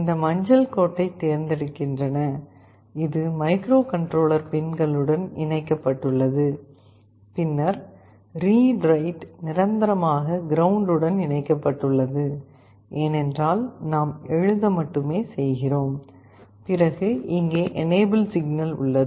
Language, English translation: Tamil, Then, we have the registers select this yellow line, which is connected to one of the microcontroller pins, then the read/write is permanently connected to ground, because we are only writing, then here we have the enable